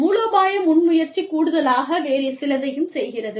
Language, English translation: Tamil, Strategic initiative, is doing something, extra